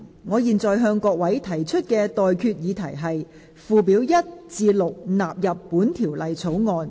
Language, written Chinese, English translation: Cantonese, 我現在向各位提出的待決議題是：附表1至6納入本條例草案。, I now put the question to you and that is That Schedules 1 to 6 stand part of the Bill